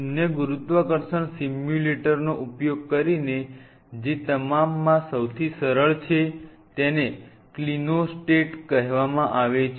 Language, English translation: Gujarati, Using zero gravity simulator, which the simplest of all is called a Clinostat